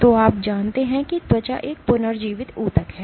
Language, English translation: Hindi, So, you know skin is a regenerating tissue